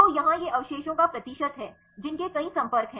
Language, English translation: Hindi, So, here this is are the percentage of residues which have multiple contacts